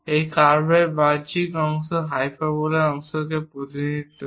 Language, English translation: Bengali, And the exterior of the curve represents part of the hyperbola